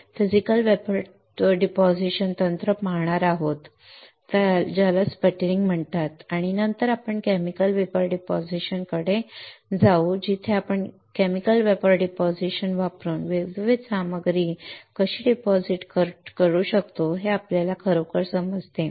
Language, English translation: Marathi, We will see one more Physical Vapor Deposition technique that is called sputtering and then we move to Chemical Vapor Deposition where we really understand how we can deposit the different materials using Chemical Vapor Deposition